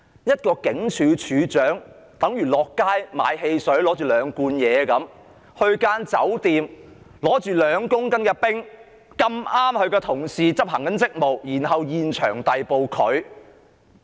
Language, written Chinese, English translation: Cantonese, 一名警署警長上街買兩罐汽水，在酒店手持2公斤冰毒，剛巧遇上同事執行職務，被當場逮捕。, A station sergeant who had purchased two bottles of soda on the street and was carrying 2 kg of ice in a hotel ran into his colleagues on duty and was caught red - handed